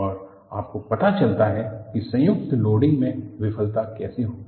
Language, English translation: Hindi, And, you find out how the failure will occur in combined loading